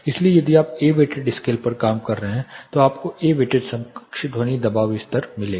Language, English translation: Hindi, So, if you are working on A weighted scale you will get a weighted equivalent sound pressure level